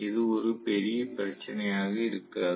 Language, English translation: Tamil, It should not be a problem